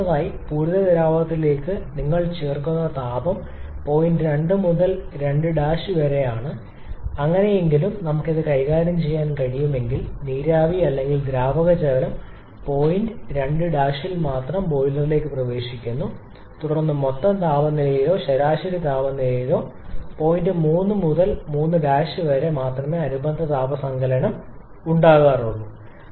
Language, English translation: Malayalam, And secondly or I should say reduce the irreversibility’s and secondly the heat that you are adding to the saturated liquid that is between point 2 to 2 Prime if somehow we can manage this such that the steam or liquid water enters the boiler only at point 2 prime then also the net temperature or average temperature corresponding heat addition will correspond only to find 2 prime 2